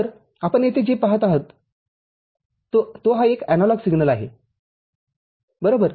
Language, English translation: Marathi, So, this is an analog signal what you see over here – right